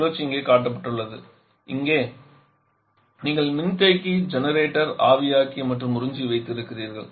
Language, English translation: Tamil, The cycle is shown here; here you have the condenser generated evaporator and observers are here